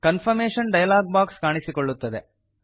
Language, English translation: Kannada, A confirmation dialog box appears.Click OK